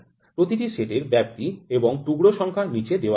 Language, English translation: Bengali, The ranges are the ranges and the number of pieces in each set are given below